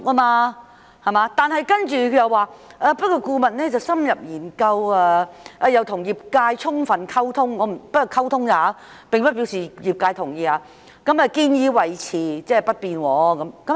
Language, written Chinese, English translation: Cantonese, 然而，局長接着說，顧問深入研究亦與業界充分溝通——只是溝通，並不表示業界同意——建議維持不變。, However the Secretary went on to say that upon in - depth studies and full engagement with the industry―just engagement not necessarily agreement from the industry―the consultant recommended that the current cap be maintained